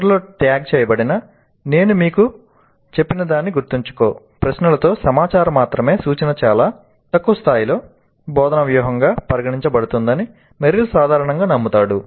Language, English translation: Telugu, And Merrill generally believes that information only instruction with remember what I told you questions at the end, tagged at the end is considered as a very low level instructional strategy